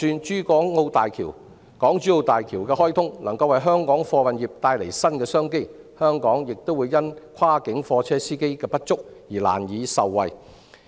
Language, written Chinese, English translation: Cantonese, 即使港珠澳大橋的開通能為香港的貨運業帶來新商機，香港亦會因跨境貨車司機不足而難以受惠。, Despite the new business opportunities brought by the opening of HZMB to the freight industry of Hong Kong it will be difficult for Hong Kong to benefit from it given the shortage of cross - boundary container truck drivers